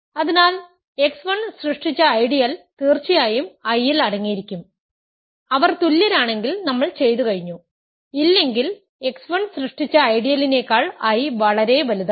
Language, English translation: Malayalam, So, the ideal generated by x 1 is certainly going to be contained in I; if they are equal, we are done; if not, I is strictly bigger than the ideal generated by x 1